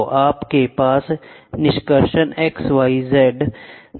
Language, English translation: Hindi, So, you have extraction y direction and z direction y x and z